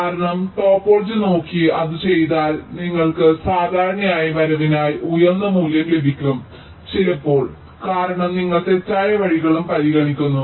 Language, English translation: Malayalam, and z, because if you just look at the topology and just do it, you will be typically getting a higher value for the arrival times because you are also considering the false paths